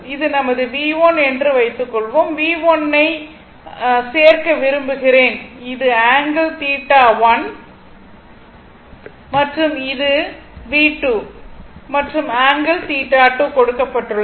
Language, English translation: Tamil, Suppose this is my V 1, I want to add your this is my V 1, it is the angle theta one and this is by V 2, and angle it is given theta 2